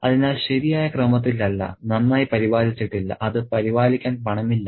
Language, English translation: Malayalam, So, not in good order, not well maintained, no money to maintain it